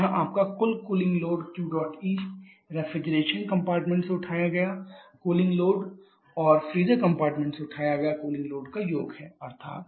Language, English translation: Hindi, So, here the cooling load comprises of two parts here your total cooling load Q dot E is the cooling load picked up from the refrigeration compartment plus the cooling load picked up from the freezer compartment